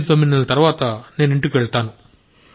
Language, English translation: Telugu, I go home after 89 months